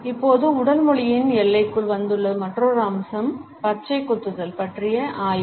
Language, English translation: Tamil, Another aspect which has come under the purview of body language now is the study of tattoos